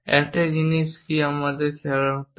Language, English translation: Bengali, One thing what we have to notice